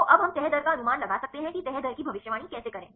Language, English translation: Hindi, So, now, we can predict the folding rate right how to predict the folding rate